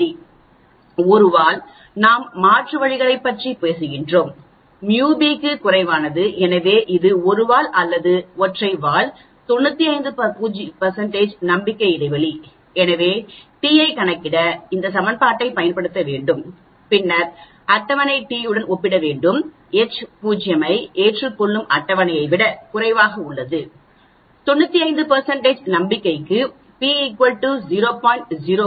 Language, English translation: Tamil, 1 tail because we are talking about alternatives µ a less than µ b so it is a one tail or single tail, 95 % confidence interval, so we have to use this equation to calculate t and then compare it with the table t, if this t is less than the table t we accept H naught for 95 % confidence that is p is equal to 0